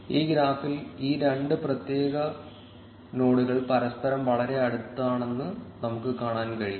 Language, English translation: Malayalam, In this graph, we can see that two of these particular nodes are very close to each other